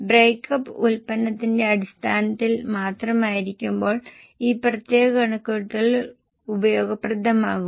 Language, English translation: Malayalam, This particular calculation will be useful when breakup is only product wise